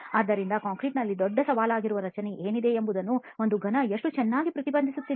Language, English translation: Kannada, So how well does a cube reflect what is there in the structure that is the big challenge in concrete